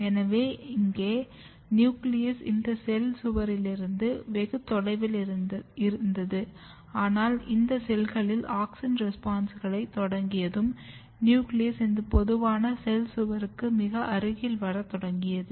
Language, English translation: Tamil, So, here nucleus was very far from the this cell wall, but once auxin has auxin responses has started in these cells, nucleus has started coming very close to this common cell wall